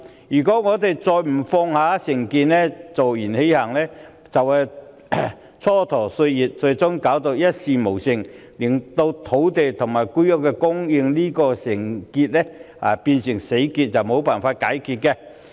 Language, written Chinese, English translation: Cantonese, 如果我們仍不放下成見，坐言起行，只會蹉跎歲月，最終一事無成，令土地和房屋供應問題變成死結，永遠無法解開。, If we do not set aside our prejudice and put words into action we will only idle away our time and can accomplish nothing in the end . The problems of land and housing supply will hence become a dead knot which can never be untied